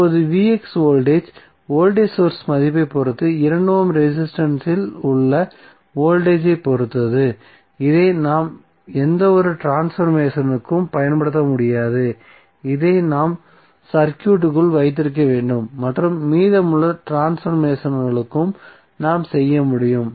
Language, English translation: Tamil, Now, Vx the voltage across this is depending upon the voltage source value is depending upon the voltage across 2 ohm resistance so, we cannot use this for any transformation we have to keep it like, this in the circuit, and rest of the transformations we can do